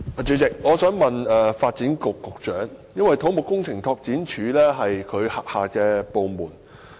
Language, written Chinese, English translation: Cantonese, 主席，我想向發展局局長提問，因為土木工程拓展署是其轄下部門。, President I would like to put a question to the Secretary for Development because CEDD is under his purview